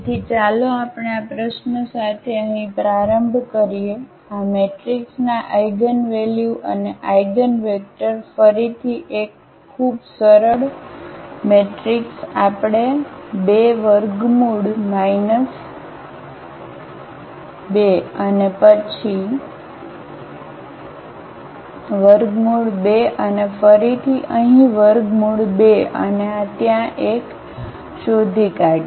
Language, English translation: Gujarati, So, let us start with this problem here find eigenvalues and eigenvectors of this matrix, again a very simple matrix we have taken 2 square root minus 2 and then square root 2 and again here square root 2 and this one there